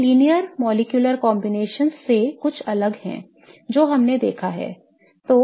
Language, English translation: Hindi, This is somewhat different for the linear molecular combinations that we have seen